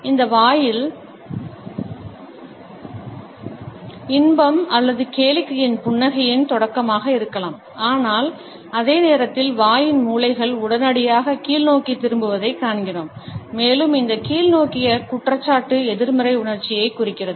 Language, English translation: Tamil, It may be the beginning of a smile of pleasure or amusement on mouth, but at the same time we find that corners of the mouth are turned downwards almost immediately and this downward incrimination indicates a negative emotion